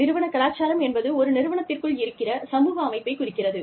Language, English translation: Tamil, Organizational culture refers to, the social setup, within an organization